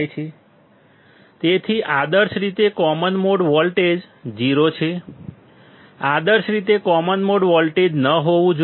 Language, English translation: Gujarati, So, ideally common mode voltage is 0; ideally common mode voltage should not be there